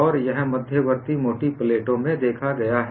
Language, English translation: Hindi, What happens in intermediate plates